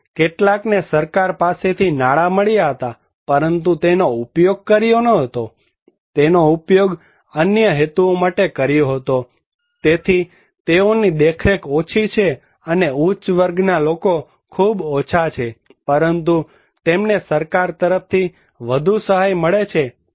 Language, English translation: Gujarati, And some received the money from the government, but did not use it, did use it for other purposes so, they have less monitoring, and upper class people are very less but they receive more assistance from the government